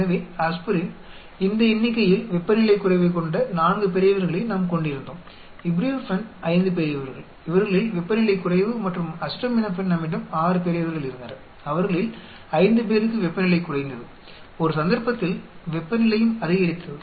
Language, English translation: Tamil, So, Aspirin, we had 4 candidates they had temperature decrease of these numbers, ibuprofen there are 5 candidates who had a temperature decrease of these and acetaminophen we had 6 candidates, 5 of them temperature decreased, in one case temperature also increased